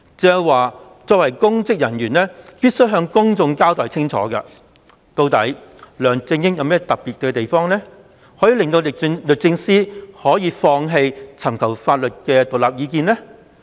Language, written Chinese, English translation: Cantonese, 鄭若驊作為公職人員，必須向公眾清楚交代究竟梁振英有何特別之處，以致律政司放棄尋求獨立的法律意見。, As a public officer Teresa CHENG must clearly explain to people what is so special about LEUNG Chun - ying so much so that DoJ declined to seek independent legal advice